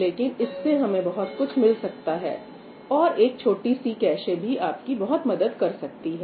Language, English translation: Hindi, But it turns out that you can actually gain a lot by using a cache, and even small caches help you a lot